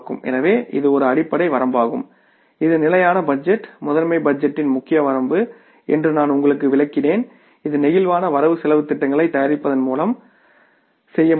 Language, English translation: Tamil, So, this is the basic limitation which I have been able to explain to you that this is the main limitation of the static budget, master budget which can be done away by preparing the flexible budgets